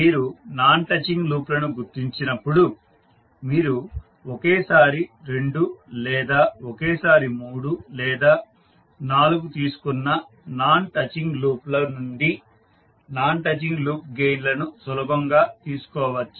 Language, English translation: Telugu, So when you identify non touching loops you will be, you can easily find out the non touching loop gains from the non touching loops taken two at a time or three or four at a time